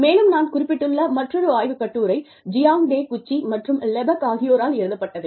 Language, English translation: Tamil, And, the other paper, that I have referred to is, by Jiang Takeuchi and Lepak